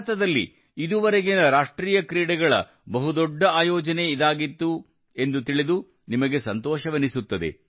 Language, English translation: Kannada, You will be happy to know that the National Games this time was the biggest ever organized in India